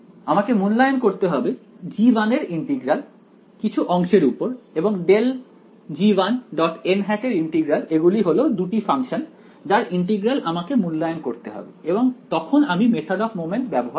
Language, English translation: Bengali, I will have to evaluate the integral of g 1 over some segment and the integral of grad g 1 dot n hat these are the 2 functions whose integral I have to evaluate right, when we do the method of moments